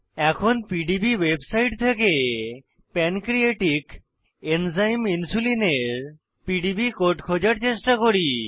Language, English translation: Bengali, As an example: Let us try to find PDB code for Pancreatic Enzyme Insulin from the PDB website